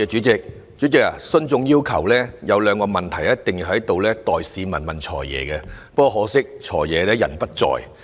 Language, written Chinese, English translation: Cantonese, 主席，徇眾要求，有兩個問題我必須在此代市民向"財爺"提出，很可惜"財爺"現時並不在席。, President on behalf of members of the public I have two questions to put to the Financial Secretary but unfortunately he is not present at the moment